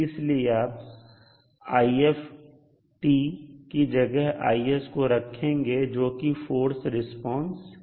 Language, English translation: Hindi, So you will add the value of I s in place of the ift that is the force response